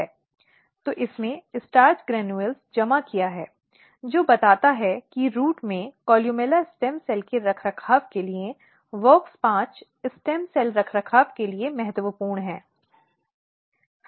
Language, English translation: Hindi, So, this has accumulated the starch granules, which tells that WOX5 is important for stem cell maintenance for columella stem cell maintenance in the root